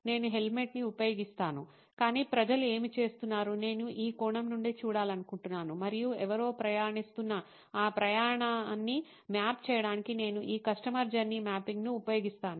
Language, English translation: Telugu, I use to wear a helmet, but what is it that people are going through I wanted to look at it from this perspective and I use this customer journey mapping to map that journey that somebody is going through